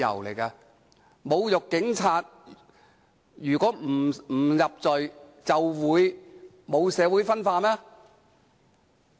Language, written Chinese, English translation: Cantonese, 難道侮辱警察不屬犯罪，社會便不會分化嗎？, Will there be no social division if insulting police officer is not an offence?